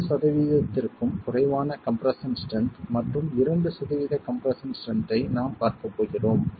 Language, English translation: Tamil, We are going to be looking at point, going to be looking at about 2% of the compressive strength, less than 5% of the compressive strength